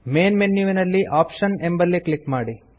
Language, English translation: Kannada, From the Main menu, click Options